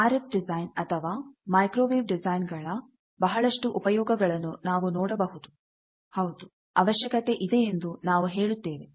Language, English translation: Kannada, Now, we see that there are lot of applications where these RF design or microwave design, we say is needed